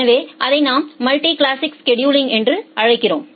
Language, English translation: Tamil, So, that we call as the multi class scheduling